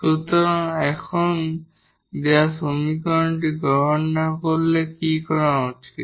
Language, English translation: Bengali, So, now what to be done when the given equation is not accept